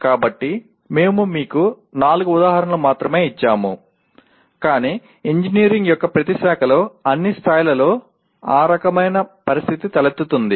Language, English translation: Telugu, So we have given you only four examples but that kind of situation arise in every branch of engineering at all levels